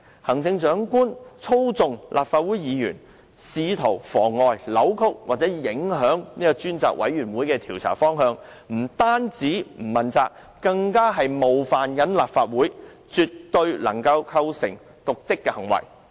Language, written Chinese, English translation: Cantonese, 行政長官操縱立法會議員，試圖妨礙、扭曲或影響專責委員會的調查方向，不單是不問責，更是冒犯了立法會，絕對能夠構成瀆職行為。, Now the Chief Executive has manipulated a Member of the Legislative Council in an attempt to frustrate deflect or affect the direction course and result of the inquiry to be carried out by the Select Committee he has not only failed to be accountable to the Legislative Council but also offended the Legislative Council